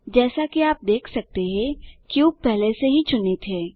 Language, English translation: Hindi, As you can see, the cube is already selected